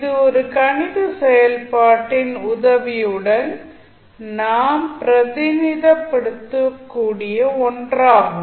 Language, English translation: Tamil, So, that would be something which you can represent with the help of a mathematical function